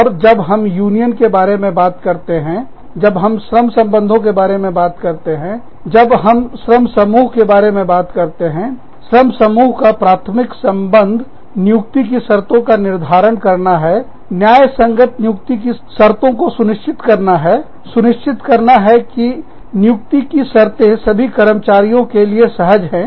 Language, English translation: Hindi, And, when we talk about, unions, when we talk about, labor relations, when we talk about, labor collectives, the primary concern of labor collectives, is to determine the conditions of employment, is to ensure, that the conditions of employment, are fair, is to ensure, that the conditions of employment, are comfortable, for all the employees